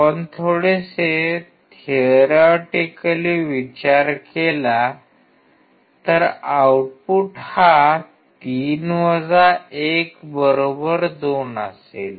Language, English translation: Marathi, Let us see theoretically; theoretically should be 3 1=2